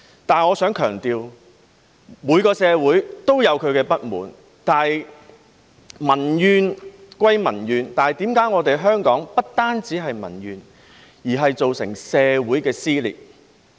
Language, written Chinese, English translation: Cantonese, 但是，我想強調每個社會也有其不滿，但民怨歸民怨，為何香港不單有民怨，更造成社會撕裂？, So they kept raising objection . However I would like to stress that every society has its own grievances but public grievances remain public grievances . Why are there not only public grievances but also social rifts in Hong Kong?